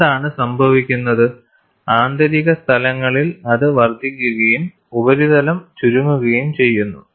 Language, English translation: Malayalam, What happens is the inner places, it increases and the surface shrinks